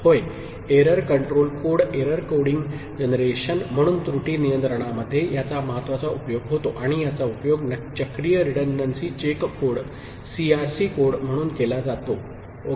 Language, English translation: Marathi, Yes it is of important use in error control as error control code generation, and this is used in what is called a Cyclic Redundancy Check code, CRC code ok